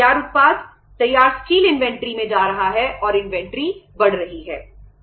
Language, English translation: Hindi, The product, finished product, finished steel is going to the inventory and inventory is mounting